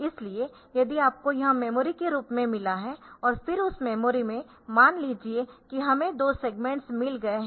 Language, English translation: Hindi, So, if we have got, if this is, if you have got say this as the memory and then in that memory suppose we have got 2 segments